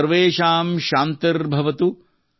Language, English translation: Kannada, Sarvesham Shanti Bhavatu